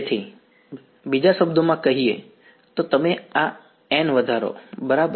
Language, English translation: Gujarati, So, in other words you increase this capital N right